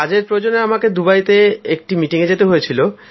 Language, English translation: Bengali, I had gone to Dubai for work; for meetings